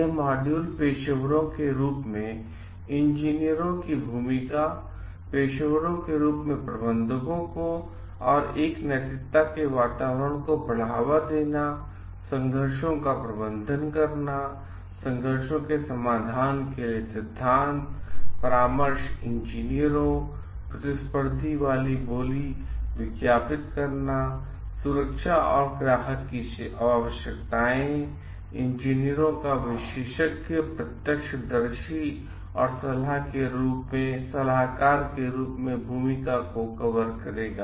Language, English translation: Hindi, The module will cover the role of engineers as managers, the managers as professionals, promoting an ethical climate, managing conflicts, principles for conflict resolution, consulting engineers, advertising competitive bidding safety and client needs, engineers as expert eye witnesses and advisors